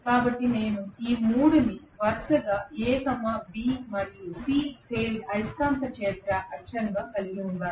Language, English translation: Telugu, So I have these 3 as the magnetic field axis of A, B and C phases respectively